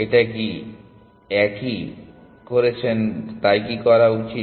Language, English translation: Bengali, Should it what is this one doing